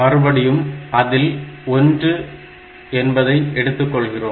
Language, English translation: Tamil, So, you get 1